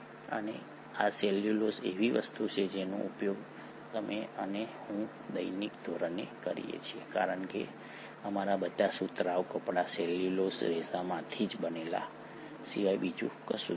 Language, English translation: Gujarati, And this cellulose is something that you and I use on a day to day basis because all our cotton clothes are nothing but made up of cellulose fibres